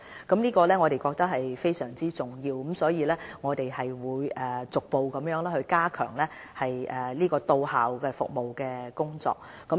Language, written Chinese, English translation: Cantonese, 我們認為這項工作非常重要，所以會逐步加強到校服務的工作。, We attach great importance to the vaccination service for students and will thus progressively enhance the outreach service